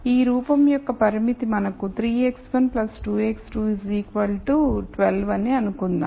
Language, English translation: Telugu, So, let us assume that we have a constraint of this form which is 3 x 1 plus 2 x 2 equals 12